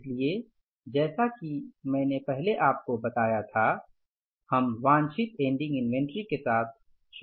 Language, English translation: Hindi, So the particulars as I told you earlier, we will start with the desired ending inventory